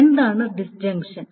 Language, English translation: Malayalam, So what is the disjunction